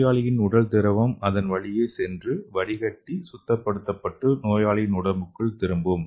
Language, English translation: Tamil, So the patient’s body fluid can pass through and filter and purify and it can go back to the patient